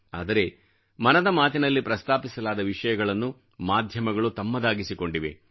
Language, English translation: Kannada, But many issues raised in Mann Ki Baat have been adopted by the media